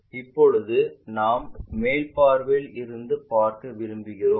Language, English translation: Tamil, Now, we want to look at from the top view